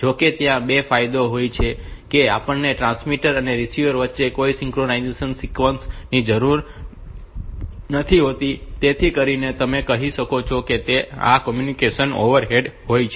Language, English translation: Gujarati, However, the advantage is that we do not need any synchronization sequence between the transmitter and receiver so that way the communication overhead is less you can say